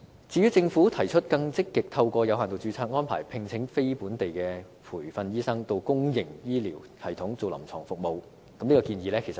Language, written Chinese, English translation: Cantonese, 至於政府提出更積極透過有限度註冊的安排，聘請非本地培訓醫生到公營醫療系統提供臨床服務，我覺得這項建議具爭議性。, The Government has proposed to more proactively recruit non - locally trained doctors through limited registration to provide clinical services in the public health care system . I think this proposal is controversial